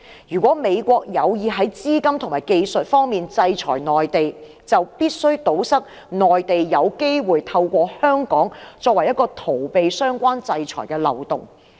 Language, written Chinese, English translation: Cantonese, 如果美國有意在資金及技術方面制裁內地，就必須堵塞內地有機會透過香港作為逃避相關制裁的漏洞。, If the United States intends to sanction the Mainland in the areas of capital flow and technologies it must plug the loophole that allows the Mainland to evade the relevant sanctions though Hong Kong